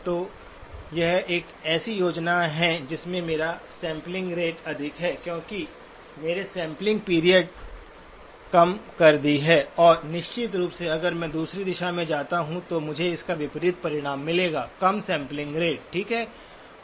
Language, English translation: Hindi, So this is a scheme where I have a higher sampling rate because my sampling period has been reduced and of course, if I go the other direction, I will get the opposite result, lower sampling rate, okay